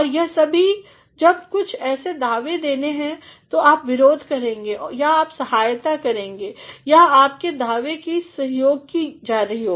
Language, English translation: Hindi, And, all these when there are certain claims to be made either you are going to contradict or you are going to support or your claims are being supported